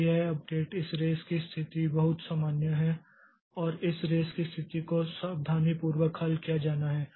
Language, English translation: Hindi, So, this update, this risk condition is very common and this risk condition has to be solved carefully